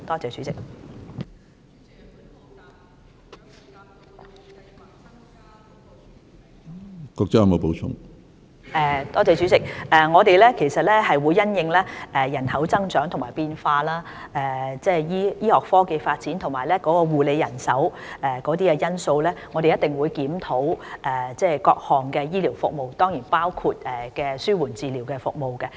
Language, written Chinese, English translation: Cantonese, 主席，我們一定會因應人口增長和變化、醫學科技的發展及醫護人手等因素，檢討各項醫療服務，當然包括紓緩治療服務。, President we will certainly review various health care services taking into account factors such as population growth and changes advancement of medical technology and health care manpower and palliative care services are of course included